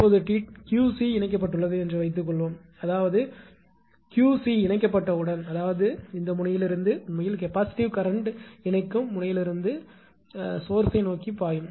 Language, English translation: Tamil, Now, suppose this Q c is connected; that means, as soon as this Q c is connected; that means, from that connecting node from this node that actually that capacitive current will flow from the connecting node towards the source